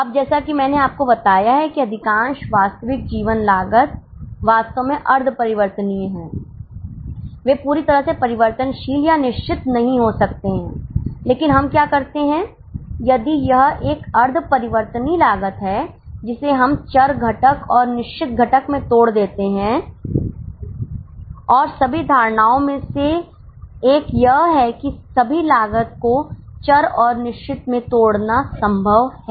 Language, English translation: Hindi, They may not be fully variable or fixed but what we do is if it is a semi variable cost we break it down into variable component and fixed component and one of the assumption is it is possible to break down all the costs into variable and fixed